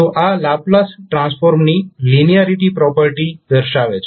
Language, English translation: Gujarati, So this will be showing the linearity property of the Laplace transform